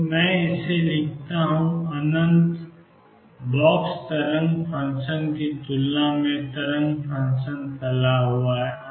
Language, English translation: Hindi, So, let me write this: the wave function is spread out compared to the infinite box wave function